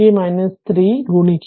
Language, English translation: Malayalam, So, multiply this